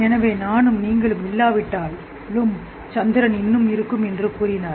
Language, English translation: Tamil, So he said even if I and you don't exist, moon will still exist